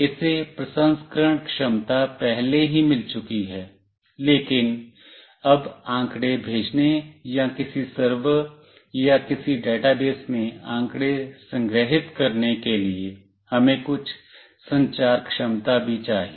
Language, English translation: Hindi, It has got the processing capability already, but now for sending the data or storing the data in some server or in some database, we need some communication capability as well